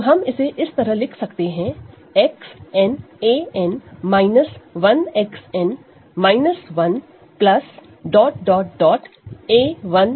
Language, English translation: Hindi, So, we can write it like this a X n a n minus 1 X n minus 1 plus dot dot dot a 1 X plus a 0